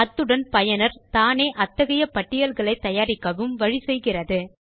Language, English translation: Tamil, It also enables the user to create his own lists